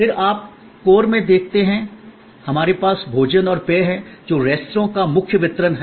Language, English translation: Hindi, Then you see at the core, we have food and beverage that is the main core delivery of the restaurant